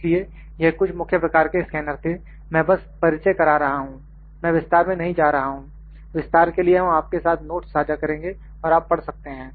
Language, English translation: Hindi, So, these are the major kinds of scanners, I am just introducing, I am not getting into details, for details we will share you the notes and you can read them